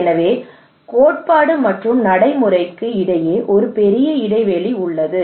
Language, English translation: Tamil, So there is a huge gap between theory and practice okay